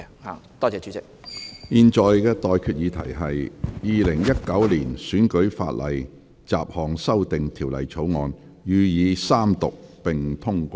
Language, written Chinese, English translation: Cantonese, 我現在向各位提出的待決議題是：《2019年選舉法例條例草案》予以三讀並通過。, I now put the question to you and that is That the Electoral Legislation Bill 2019 be read the Third time and do pass